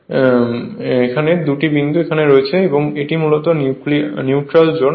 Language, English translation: Bengali, And these two dots are here, this is basically the neutral zone right